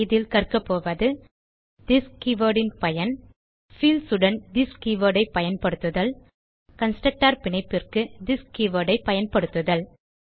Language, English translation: Tamil, In this tutorial we will learn About use of this keyword To use this keyword with fields To use this keyword for chaining of constructors